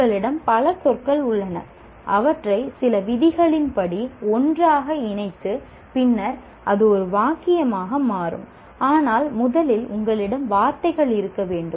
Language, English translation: Tamil, You have several words and you put them together in some as per certain rules and then it becomes a sentence